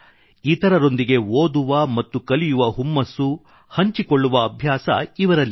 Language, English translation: Kannada, This is the passion of sharing the joys of reading and writing with others